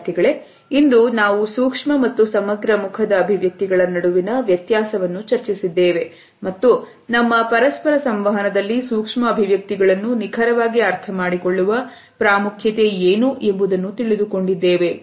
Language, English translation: Kannada, So, today we have discussed the difference between micro and macro facial expressions and what exactly is the significance of understanding micro expressions in our interpersonal behavior